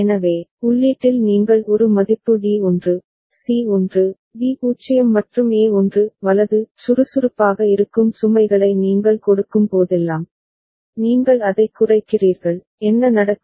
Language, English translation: Tamil, So, at the input you are putting a value D is 1, C is 1, B is 0 and A is 1 – right; and whenever you give load which is active low, you make it low, what will happen